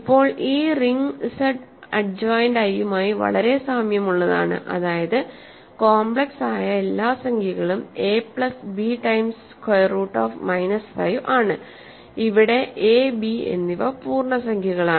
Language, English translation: Malayalam, Now, this ring is very similar to Z adjoined i, in the sense that it is all complex numbers which are of the form a plus b times square root minus 5, where a and b are integers